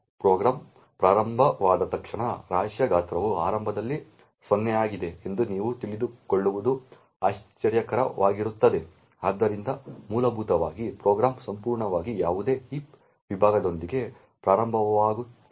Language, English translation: Kannada, As soon as the program starts it would be surprisingly for you to know that the size of the heap is initially 0, so essentially the program would start with absolutely no heap segment